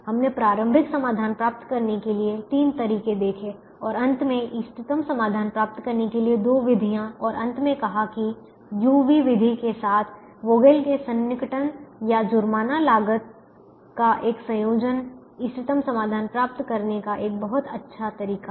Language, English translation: Hindi, we saw three methods to get initial solution and two methods to get the optimum solution and finally said that the combination of the vogal's approximation or penalty cost with the u v method would is is a very nice way to get the optimum solution